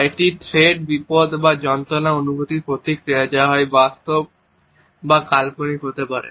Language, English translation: Bengali, It is a response to a sense of thread danger or pain which may be either real or an imagined one